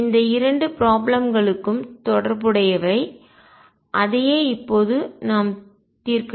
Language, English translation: Tamil, So, these 2 problems are related and that is what we have going to address now